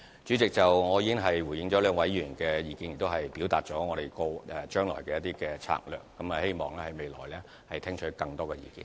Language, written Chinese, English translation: Cantonese, 主席，我已回應兩位議員的意見，亦表達我們將來的一些策略，希望在未來聽取更多的意見。, President I have already responded to the views of two Members and introduced some of our strategies to be implemented in the future . I am looking forward to hearing more views in future